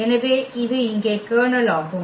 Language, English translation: Tamil, So, this is the kernel here